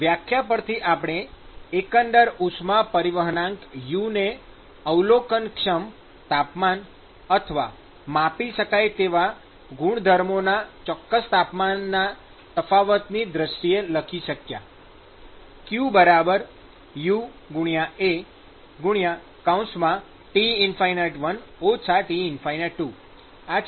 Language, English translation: Gujarati, So, we could write, we could define an overall heat transport coefficient U, multiplied by A, multiplied by the net temperature difference of the observable temperatures or measurable properties